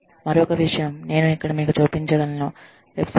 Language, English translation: Telugu, The other thing, that i can show you here is, the website